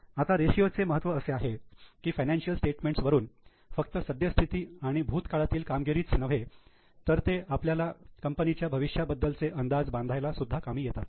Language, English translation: Marathi, Now the importance of ratios is that the financial statements tell you about the present and the past but the ratios can be used even to project the future